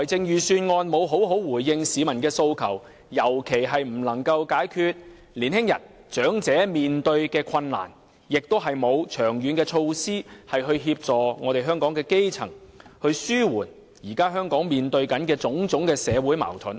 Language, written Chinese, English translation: Cantonese, 預算案沒有好好回應市民的訴求，尤其不能夠解決青年人和長者面對的困難，亦沒有長遠的措施協助基層市民，紓緩香港現正面對的種種社會矛盾。, The Budget fails to properly respond to peoples aspirations; in particular it fails to address the difficulties faced by young people and the elderly and has not formulated long - term measures to help the grass roots and alleviate various social conflicts faced by Hong Kong currently